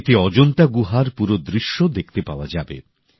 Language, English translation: Bengali, A full view of the caves of Ajanta shall be on display in this